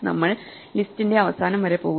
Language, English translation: Malayalam, We walk to the end of the list and then we reach none